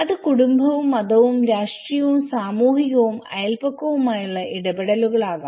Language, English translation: Malayalam, It could be family, religion, political, social and neighbourhood interactions